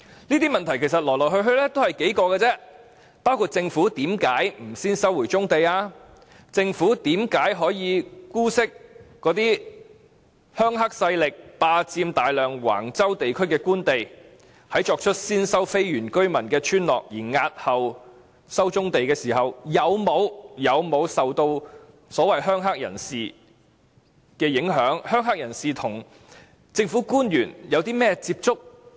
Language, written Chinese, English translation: Cantonese, 這些問題其實來來去去只是數個，包括政府為何不先收回棕地，政府為何可以姑息"鄉黑"勢力霸佔大量橫洲地區的官地，在作出先收非原居民村落而押後收棕地時，有沒有受到"鄉黑"人士的影響，"鄉黑"人士與政府官員有甚麼接觸。, In fact we have only a few questions which include Why did the Government not resume brownfield sites first? . Why did the Government condone the illegal occupation of large pieces of Government land at Wang Chau by rural - triad groups? . Was the Government influenced by the rural - triad groups when it decided to first resume the land of the non - indigenous villages and postpone the resumption of brownfield sites?